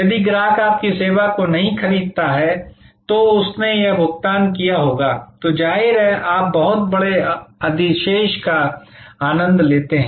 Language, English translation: Hindi, If the customer didnít buy your service would have paid this, then obviously, you enjoy a very huge surplus